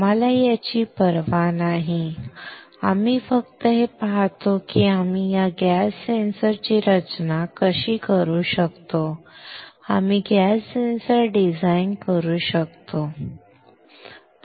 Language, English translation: Marathi, We do not care this one, we just see that how we can design this gas sensor; we have can design the gas sensor, alright